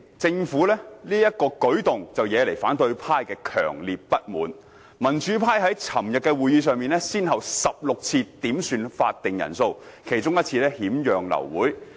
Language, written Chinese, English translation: Cantonese, 政府此舉惹來民主派強烈不滿，民主派於昨日會議上先後16次點算開會法定人數，其中1次更險釀流會。, This act of the Government triggered a backlash from the pro - democracy camp consequently 16 requests for headcounts were made at yesterdays meeting one of which almost led to the abortion of the meeting